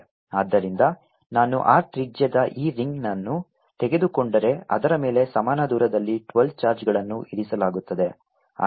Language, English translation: Kannada, so if i take this ring of radius r, there are twelve charges placed on it at equal distances